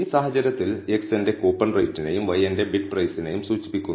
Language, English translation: Malayalam, In this case x refers to my coupon rate and y refers to my bid price